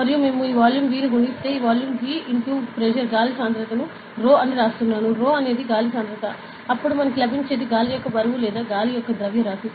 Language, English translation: Telugu, And if we multiply this volume V ok, this volume V into the density of air; I am writing rho, rho is density of air then what we get is the what the weight of air right ok, or mass of air actually